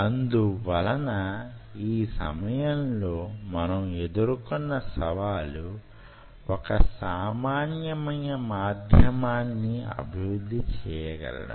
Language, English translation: Telugu, so one of the challenge, what we were facing at that point of time, was how to develop a common medium